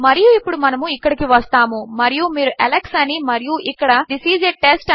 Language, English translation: Telugu, And now we come here and you can type Alex and here This is a test